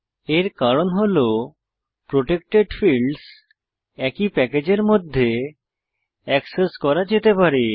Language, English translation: Bengali, This is because protected fields can be accessed within the same package